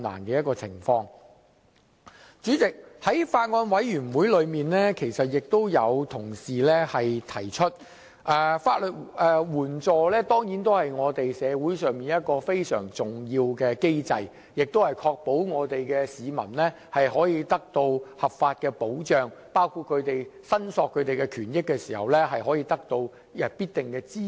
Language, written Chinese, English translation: Cantonese, 主席，在小組委員會上，有委員指出，法援制度是社會上一個非常重要的機制，旨在確保市民的合法權益得到保障，在申索權益時得到必要的支援。, President in the Subcommittee some Members point out that the legal aid system is an extremely important mechanism in society which seeks to ensure the legitimate rights of the public are safeguarded and the public are provided with necessary support in claiming their rights